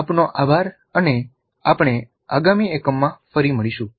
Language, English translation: Gujarati, Thank you and we'll meet again with the next unit